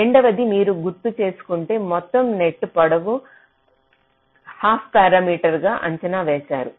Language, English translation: Telugu, secondly, the total net length is estimated as the half parameter